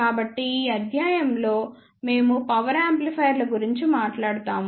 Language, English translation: Telugu, In this lecture we will talk about Power Amplifiers